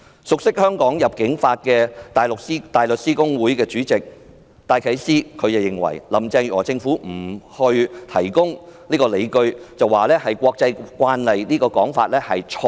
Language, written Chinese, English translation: Cantonese, 熟悉香港入境法的大律師公會主席戴啟思認為，林鄭月娥政府說不提供理據是國際慣例，這說法是錯的。, Concerning the argument presented by the Carrie LAM Government that not giving any reason was an international practice Philip DYKES Chairman of the Hong Kong Bar Association who is well - versed with the immigration law of Hong Kong considers it a fallacy